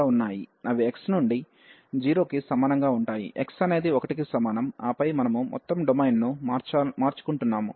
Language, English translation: Telugu, They are going from x is equal to 0 to x is equal to 1 and then we are swapping the whole domain